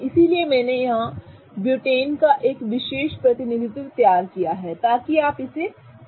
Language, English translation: Hindi, So, I have drawn a particular representation of butane here